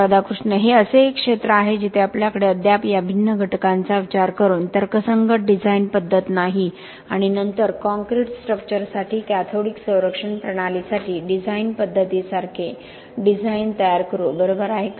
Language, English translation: Marathi, That is one area where we still do not have a rational design methodology considering these different factors and then come up with design like design methodology for cathodic protection system for concrete structures right, do we have